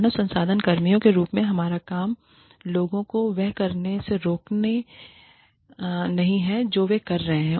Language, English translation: Hindi, Our job, as human resources personnel, is not to prevent, people from doing, what they are doing